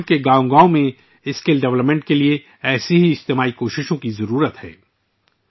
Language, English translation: Urdu, Today, such collective efforts are needed for skill development in every village of the country